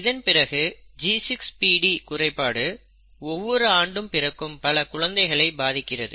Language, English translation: Tamil, And then there is something called G6PD deficiency which seems to affect a large number of infants born every year, right